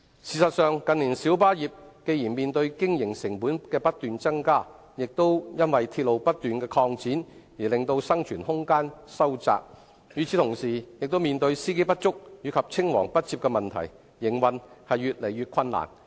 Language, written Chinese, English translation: Cantonese, 事實上，近年小巴業既面對經營成本不斷增加，又因鐵路不斷擴展而令生存空間收窄，與此同時，亦面對司機不足及青黃不接的問題，營運越來越困難。, In fact in recent years the light bus trade faces not only increasing operating costs but also diminishing room for survival due to the expansion of railways . At the same time the trade also faces increasingly difficult operating conditions due to the shortage of drivers and succession problems